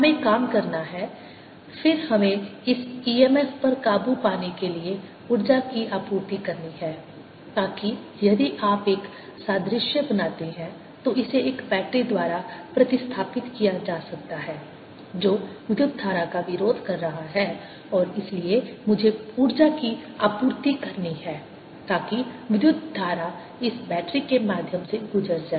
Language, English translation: Hindi, we have to work, then we have to supply energy to overcome this e m, f, so that, if you make an analogy, this can be replaced by a battery which is opposing the current and therefore i have to supply energy so that the current passes through the this battery